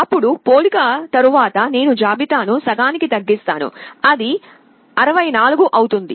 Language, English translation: Telugu, After one comparison I reduce the list to half, it becomes 64